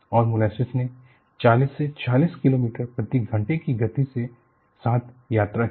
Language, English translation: Hindi, And, the molasses travelled with a speed of 40 to 56 kilometers per hour